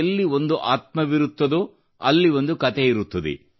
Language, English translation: Kannada, 'Where there is a soul, there is a story'